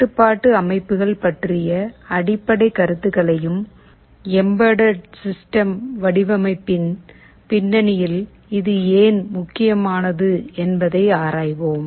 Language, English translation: Tamil, We shall look into the basic idea about control systems and why it is important in the context of embedded system design